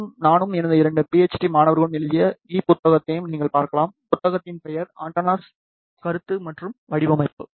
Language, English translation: Tamil, You can also referred to the E book, which is written by me and my two PhD students, the book name is Antennas Concept and Design